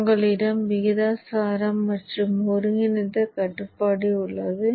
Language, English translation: Tamil, So you have the proportional and the integral controller